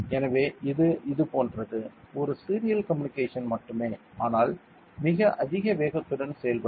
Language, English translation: Tamil, So, it is like; a serial communication only, but with very high speed